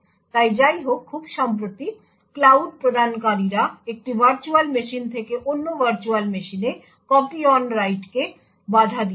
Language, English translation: Bengali, So however, very recently cloud providers have prevented copy on write from one virtual machine to another virtual machine